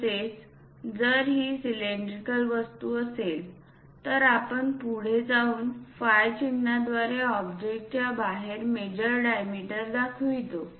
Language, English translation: Marathi, Similarly, if these are cylindrical objects, we went ahead and showed the major diameters outside of the object through the symbol phi